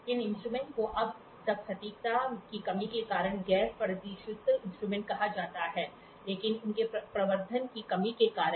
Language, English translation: Hindi, This instrument until now can be called as non precision instrument due to the lack of precision, but for their lack of amplification